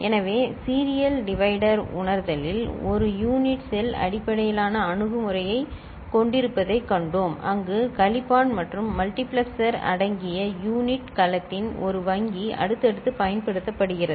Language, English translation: Tamil, So, in serial divider realization the one that we had seen we have a unit cell based approach where one bank of unit cell comprising of subtractor and multiplexer is used in a successive manner ok